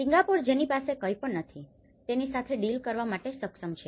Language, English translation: Gujarati, A Singapore which doesn’t have anything which is still capable of dealing with it